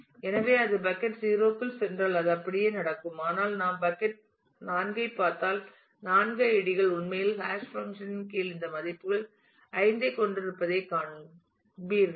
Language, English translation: Tamil, So, it goes into bucket 0 it happens that way if, but if we look into bucket 4 you will find that the 4 IDs actually all have this value 5 under the hash function